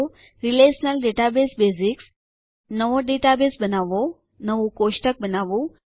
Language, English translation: Gujarati, Relational Database basics, Create a new database, Create a table